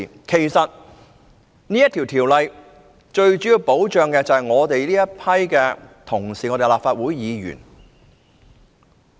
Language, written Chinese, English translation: Cantonese, 其實該條例最主要保障的是我們這些立法會議員。, In fact the Ordinance mainly protects us Members of the Legislative Council